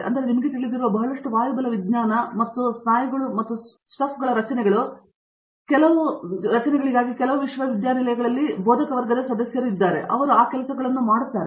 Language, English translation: Kannada, So, there is lot of aerodynamics you know and structures of muscles and stuff that there are faculty members in some universities that do those things